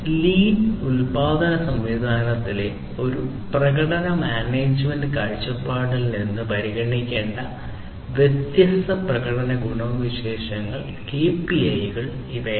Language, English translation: Malayalam, So, these are the different performance attributes or the KPIs that have to be considered from a performance management viewpoint, in the lean production system